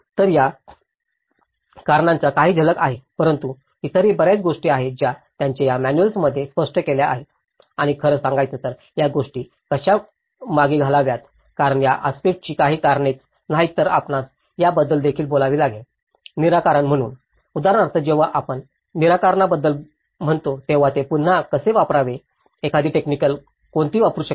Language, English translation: Marathi, So, these are a few glimpses of the reasons but there are many other which he have explained in this manual and in fact, how to retrofit these things because there are some solutions not only the causes for these aspects but you also have to talk about the solutions so, for instance when we say about solutions, how to retrofit it, what are the techniques one can use